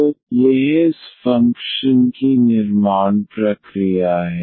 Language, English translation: Hindi, So, this is the construction process of this function f